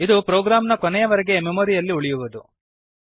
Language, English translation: Kannada, It will remain in the memory till the end of the program